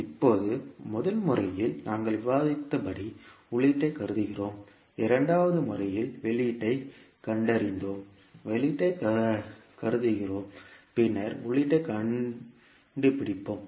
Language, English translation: Tamil, Now, in the first method, as we discussed, we assume input and we found the output while in second method, we assume the output and then find the input